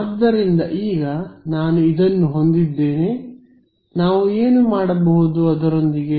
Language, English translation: Kannada, So, now, that I have this what can I do with it